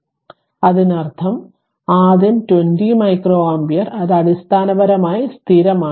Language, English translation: Malayalam, So; that means, first one if you see that that 20 micro ampere, it is basically your your constant